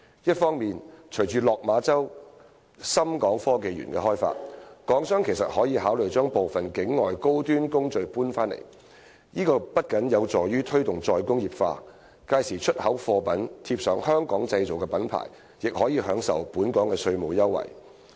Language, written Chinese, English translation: Cantonese, 一方面，隨着落馬洲港深創新及科技園的開發，港商其實可以考慮把部分境外的高端工序搬回來，這不僅有助於推動"再工業化"，屆時出口貨物貼上"香港製造"品牌，亦可以享受本港的稅務優惠。, On the one hand with the development of the Hong Kong - Shenzhen Innovation and Technology Park in Lok Ma Chau Hong Kong businesses can actually consider moving some of their high - end processes outside Hong Kong back to Hong Kong . This will help promote re - industrialization and allow the brand Made in Hong Kong to be affixed to their exports which can then enjoy Hong Kongs tax concessions